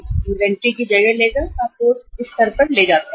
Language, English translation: Hindi, It will, replacement of the inventory will take you to this level